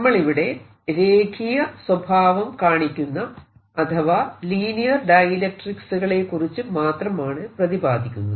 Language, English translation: Malayalam, what we are talking about are linear dielectrics